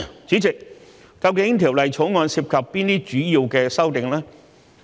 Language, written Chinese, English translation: Cantonese, 主席，究竟《條例草案》涉及哪些主要的修訂呢？, President what major amendments are involved in the Bill?